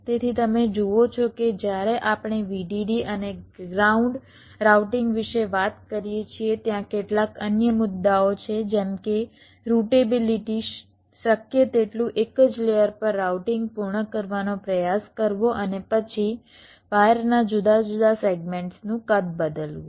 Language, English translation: Gujarati, so you see that when we talk about vdd and ground routing, there are some other issues like routablity, trying to complete the routing on the same layer as possible, and then sizing of the different segments of the wires